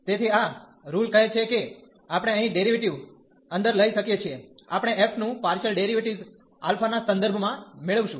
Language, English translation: Gujarati, So, this rule says that we can take the derivative inside here; we will get partial derivative of f with respect to alpha